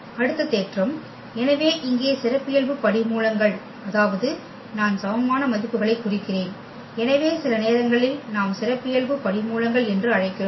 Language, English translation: Tamil, Next theorem, so here the characteristic roots I mean the eigenvalues so sometimes we also call the characteristic roots